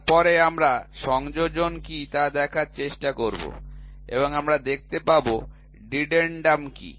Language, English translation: Bengali, Then, we will try to see what is addendum and we will see what is dedendum